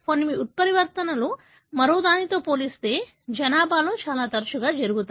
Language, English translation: Telugu, Some of the mutations are more frequent in the population as compared to the other